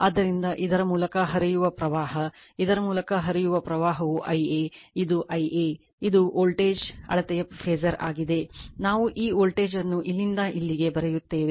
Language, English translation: Kannada, So, current flowing through this actually , current flowing through this , is your I a this is your I a , this is the phasor at voltage measure this we write this voltage from here to here